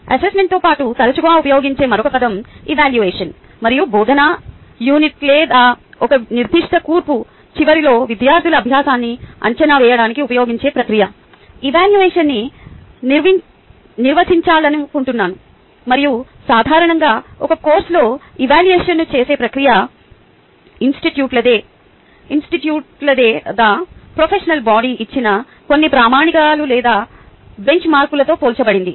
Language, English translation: Telugu, there is another word which is often used along with assessment is evaluation, and i would like to define evaluation as the process which is used to evaluate students learning at the end of the instructional unit or a particular course, and usually the in the process of evaluation, this course are compared against some standard or benchmark which could be either ah, ah, ah given by the institute or by the professional body its